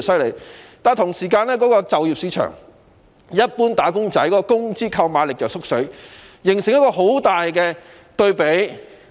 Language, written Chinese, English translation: Cantonese, 與此同時，就業市場一般"打工仔"的工資購買力卻不斷萎縮，形成一個強烈對比。, Meanwhile standing in stark contrast is the shrinking purchasing power of ordinary wage earners